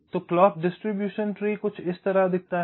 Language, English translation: Hindi, so clock distribution tree looks something like this